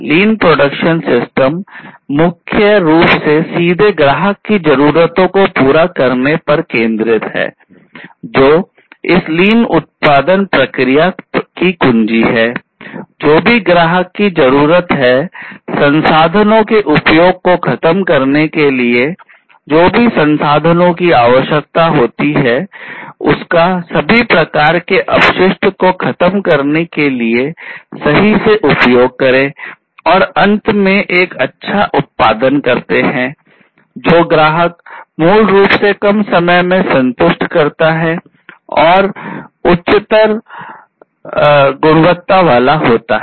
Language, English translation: Hindi, Whatever the customer needs targeting that, eliminating the over usage of different resources, use whatever resources are precisely required eliminate all kinds of wastes, and finally produce a good which the customer basically would be satisfied with more in reduce time and having higher quality